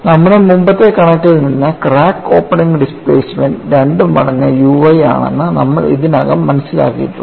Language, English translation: Malayalam, And from our earlier figure, we have already understood that the crack opening displacement is nothing but 2 times u y